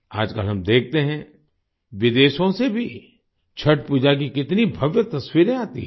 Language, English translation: Hindi, Nowadays we see, how many grand pictures of Chhath Puja come from abroad too